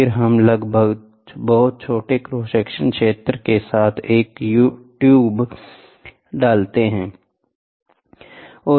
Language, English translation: Hindi, And then we insert a tube with a with almost a very small cross section area